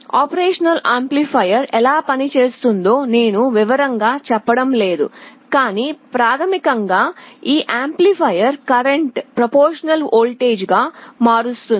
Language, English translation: Telugu, I am not going to the detail how an operational amplifier works, but basically this amplifier converts the current into a proportional voltage